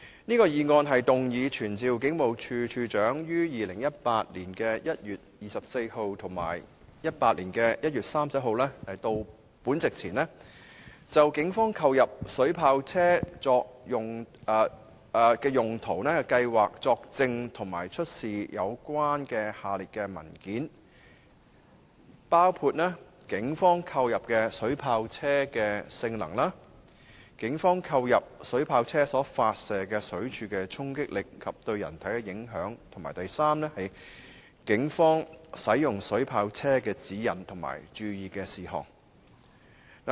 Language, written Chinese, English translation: Cantonese, 這項議案動議傳召警務處處長於2018年1月24日及2018年1月31日到立法會席前，就警方購入水炮車作行動用途的計劃作證及出示有關下列事宜的文件，包括警方購入的水炮車的性能、警方購入水炮車所發射的水柱的衝擊力及對人體的影響，以及警方使用水炮車的指引及注意事項。, This motion is moved to summon the Commissioner of Police to attend before the Council on 24 January 2018 and 31 January 2018 to testify in relation to the Polices purchase of vehicles equipped with water cannon for operational purposes and to produce all relevant documents in respect of the following matters including the performance of the water cannon vehicles purchased by the Police the force of the stream of water shot from the water cannons installed on the vehicles purchased by the Police and its impact on human body and the guidelines and precautions on the use of the water cannon vehicles by the Police